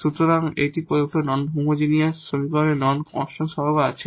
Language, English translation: Bengali, So, here we will consider this equation which has these non constant coefficients